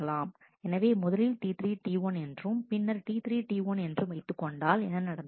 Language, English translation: Tamil, So, let us say T 3 T 1 then T 3 T 1 has happened